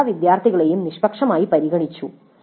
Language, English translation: Malayalam, All the students were treated impartially